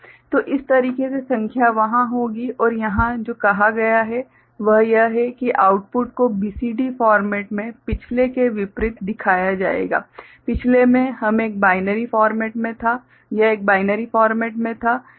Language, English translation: Hindi, So, this is the way the number will be there and here what is asked is that the output will be shown in the BCD format unlike the previous previous it was a binary format